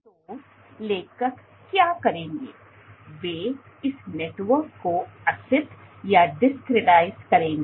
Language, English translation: Hindi, So, what the authors would do is, they would discretize this network